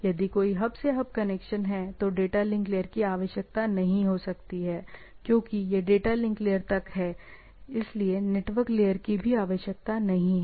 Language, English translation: Hindi, If there is a hub to hub connection, the data link layer may not require that needs to be open up to the, this up to the data link layer so, not even the network layer is not required